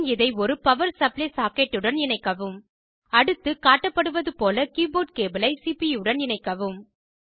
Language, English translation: Tamil, Then, connect it to a power supply socket Next, connect the keyboard cable to the CPU, as shown